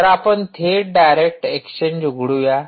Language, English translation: Marathi, so lets open direct exchange